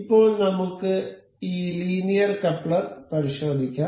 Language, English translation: Malayalam, So, now, we will check this linear coupler